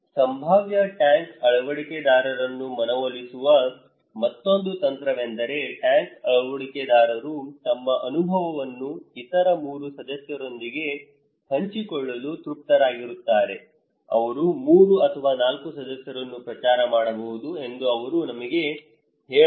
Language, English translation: Kannada, Another strategy to convince potential tank adopters would have satisfied tank adopters to share their experience into other 3 members okay, they can also tell us that the 3 or 4 members they can promote